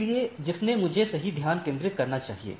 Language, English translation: Hindi, So, from to whom I should concentrate right